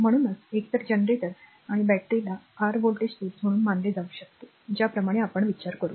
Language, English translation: Marathi, So, either generator and batteries you can you can be regarded as your ideal voltage sources that way we will think